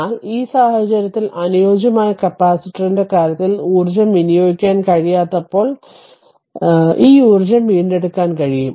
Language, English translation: Malayalam, But in this case, when the case of ideal capacitor it cannot dissipate energy, energy can be this energy can be retrieved